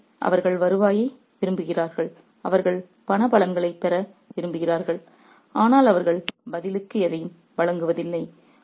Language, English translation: Tamil, So, they want the revenue, they want the monetary benefits, but they don't offer anything in return